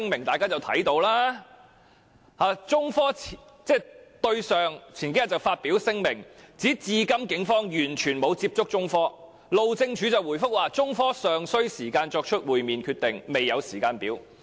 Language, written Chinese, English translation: Cantonese, 中科興業有限公司日前發表聲明，指警方至今完全沒有與它接觸，而路政署則回覆中科表示尚需時間作出會面決定，未有時間表。, According to the statement issued by China Technology Corporation Limited a couple of days ago the Police have yet to contact it and HyD has replied to it that there is no timetable for a meeting as more time is needed to make a decision